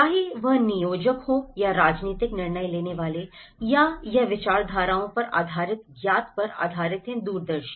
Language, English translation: Hindi, Whether it is a planners or the political decision makers or it is based on the knowledge on ideologies of the visionaries